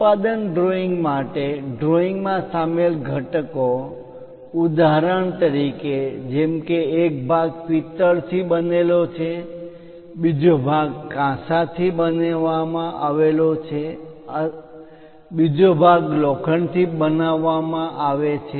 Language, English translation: Gujarati, For production drawings, the components involved in the drawing for example, like one part is made with brass, other part is made with bronze, other part is made with iron